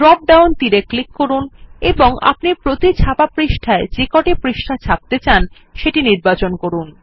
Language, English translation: Bengali, Click on the drop down arrow and choose the number of pages that you want to print per page